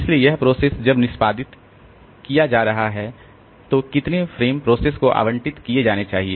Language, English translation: Hindi, So, like a process when it is going to execute, then how many frames should be allocated